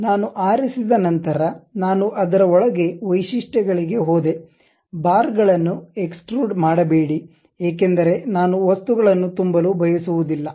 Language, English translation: Kannada, Once I have picked I went inside of that to Features; not extrude bars because I do not want to fill the material